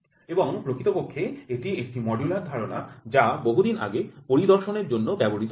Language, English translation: Bengali, And in fact, is a modular concept which is used way back in inspection itself